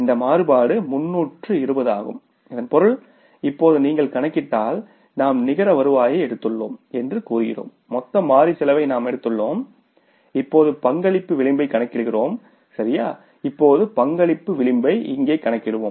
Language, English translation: Tamil, So, it means now if you calculate the say we have taken the net revenue we have taken the total variable cost and now we calculate the contribution margin